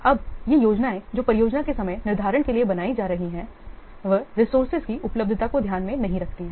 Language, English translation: Hindi, Now, these plans that are being made for the project scheduling, they do not take into account the availability of the resources, but actually we may make the plan